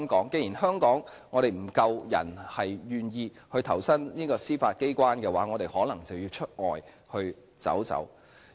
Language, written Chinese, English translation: Cantonese, 既然香港願意投身司法機關的人手不足，我們可能便要往外尋找。, As Hong Kong faces a shortage of manpower that is prepared to join the Judiciary we may have to look for recruits from other places